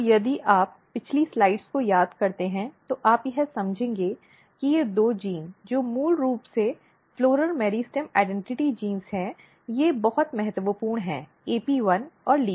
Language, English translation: Hindi, So, if you recall previous slides then you will realize that these two genes which are basically floral meristem identity genes they are very important AP1 and LEAFY